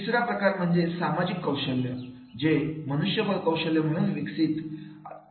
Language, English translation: Marathi, Third one is the social skills are the HR skills are there